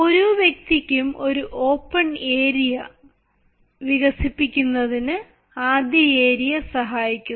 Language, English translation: Malayalam, the first area helps in developing an open area for every person